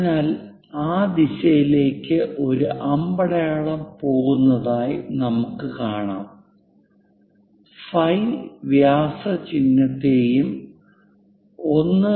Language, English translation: Malayalam, So, we can see there is a arrow head going in that direction, phi represents diameter symbol and 1